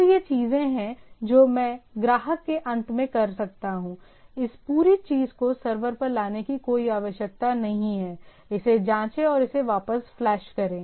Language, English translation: Hindi, So, there is that that I can do at the client end, no need of bringing this whole thing to the server, check it and flash it back